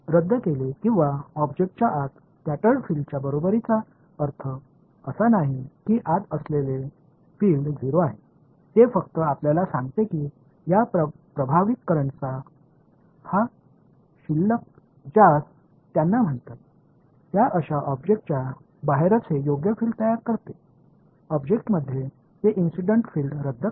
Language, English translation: Marathi, Cancelled or equal to the scattered field inside the object that does not mean that the field inside is 0, it just tells you that this balance of these impressed currents as they called is such that outside the object it produces the correct field; inside the object it cancels the incident field